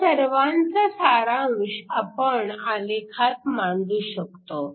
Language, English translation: Marathi, So, we can summarize this in the form of a plot